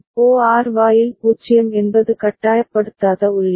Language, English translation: Tamil, And for OR gate 0 is a non forcing input